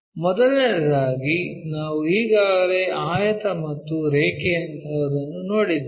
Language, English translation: Kannada, So, the first thing we have already seen, something like a rectangle and a line